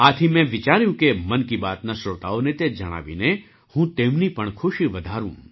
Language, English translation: Gujarati, So I thought, by telling this to the listeners of 'Mann Ki Baat', I should make them happy too